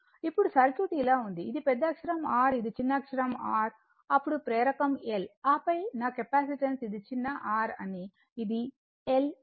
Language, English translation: Telugu, Now, circuit were like this, this is my capital R this is my small r then inductance L right, and then my capacitance is that this is small r this is L